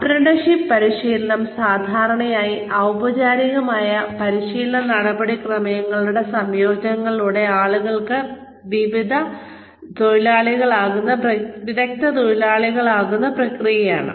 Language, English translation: Malayalam, Apprenticeship training, is the process by which people become skilled workers, usually through a combination of, formal learning procedures